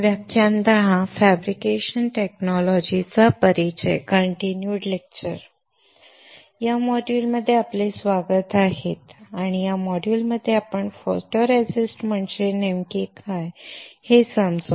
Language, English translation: Marathi, Welcome to this module and in this module, we will understand what exactly photoresist is